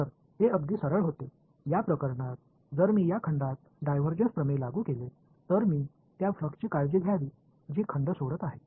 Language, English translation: Marathi, So, this was very straight forward, in this case if I applied divergence theorem to this volume I should take care of the flux that is leaving the volume right